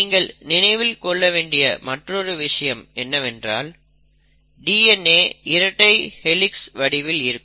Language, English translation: Tamil, Now it is important to note that DNA is a helix